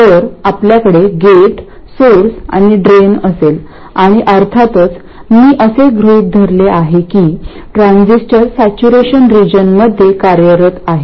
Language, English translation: Marathi, So, we will have gate source and drain and of course I have assumed that the transistor is operating in saturation region